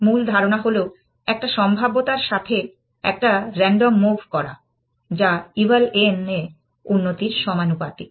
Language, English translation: Bengali, The basic idea is make a random move with a probability, which is proportional to improvement in eval n